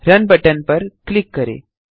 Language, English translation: Hindi, Just click on the button Run